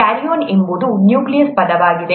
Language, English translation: Kannada, Karyon is the word for nucleus